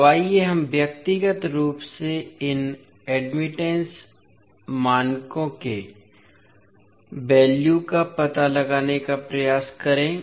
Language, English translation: Hindi, Now, let us try to find out the values of these admittance parameters individually